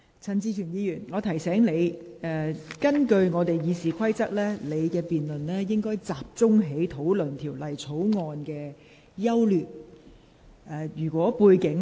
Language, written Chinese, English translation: Cantonese, 陳志全議員，我提醒你，根據《議事規則》，在這項辯論中，議員應集中討論《條例草案》的整體優劣。, Mr CHAN Chi - chuen let me remind you that under RoP in this debate Members should focus on the overall merits of the Bill in their discussion